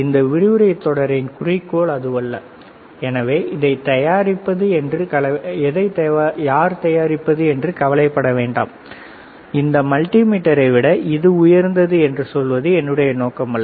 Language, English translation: Tamil, That is not the goal of this lecture series; so, do not worry about who manufactures it; that is not our idea of telling you by this multimeter by that multimeter